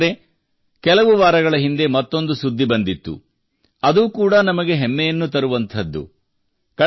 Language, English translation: Kannada, Friends, a few weeks ago another news came which is going to fill us with pride